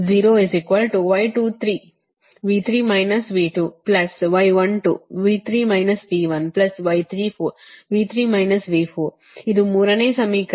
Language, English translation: Kannada, this is the third equation